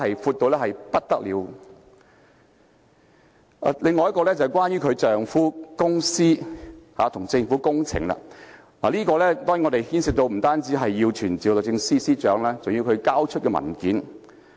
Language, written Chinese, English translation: Cantonese, 此外，要審查有關司長丈夫的公司與政府的工程有關的業務，我們當然不單要傳召律政司司長，更要她交出文件。, Furthermore if we are to probe into the public works - related business of her husbands company we certainly will not only have to summon her the Secretary for Justice but also have to demand documents from her